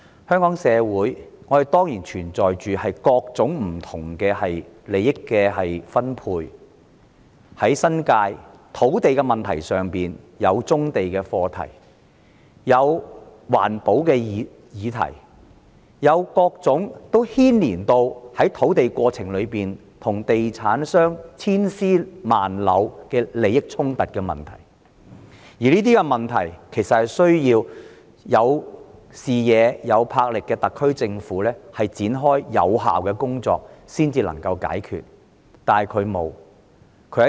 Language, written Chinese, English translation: Cantonese, 香港社會當然有各種不同的利益分配，例如在新界土地問題上有棕地和環保的議題，而在開發土地的過程中亦有各種涉及地產商千絲萬縷的利益衝突問題，而這些問題其實需要有視野、有魄力的特區政府展開有效的工作才能解決。, There are certainly all kinds of benefit - sharing in our society such as the brownfields and environmental issues involving land in the New Territories and the process of land development also sees a myriad of conflicts of interest involving real estate developers . And such problems can be resolved indeed only by a visionary and bold SAR Government with the devotion of practical efforts